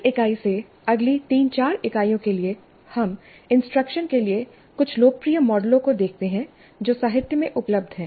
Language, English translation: Hindi, From this unit for the next three, four units, we look at some of the popular models for instruction which have been available in the literature